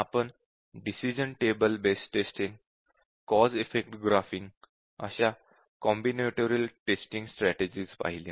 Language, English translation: Marathi, We have looked at combinatorial test testing in the form of decision table based testing and cause effect graphing